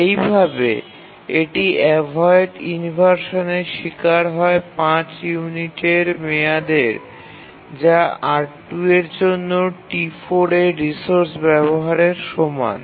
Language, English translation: Bengali, They will undergo inversion for 5 units time, that is the uses of T4 of the resource R2